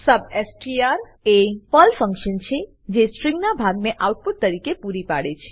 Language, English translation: Gujarati, substr is the PERL function which provides part of the string as output